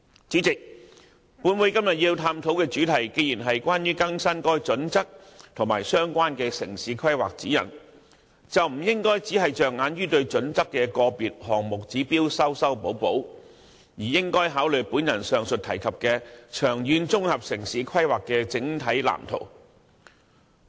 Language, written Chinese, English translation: Cantonese, 本會今天探討的主題既然是關於更新《規劃標準》和《指引》，便不應只着眼於修訂《規劃標準》個別項目指標，而應考慮上述提及的長遠綜合城市規劃的整體藍圖。, Since the subject of todays motion is updating HKPSG and the relevant town planning guidelines we should not limit ourselves to the revision of individual requirements specified therein . Instead we should consider the matter in terms of the overall blueprint of long - term integrated town planning as mentioned above